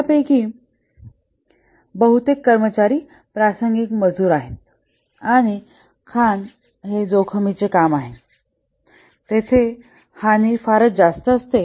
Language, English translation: Marathi, Majority of these employees are casual laborers and mining being a risky profession, casualties are very high